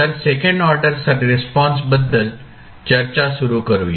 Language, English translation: Marathi, So, let us start the discussion about the second order response